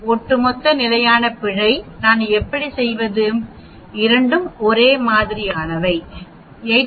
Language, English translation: Tamil, The overall standard error how do I do, both are same right 89